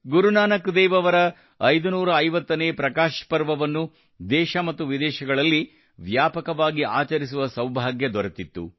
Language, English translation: Kannada, We had the privilege of celebrating the 550th Prakash Parv of Guru Nanak DevJi on a large scale in the country and abroad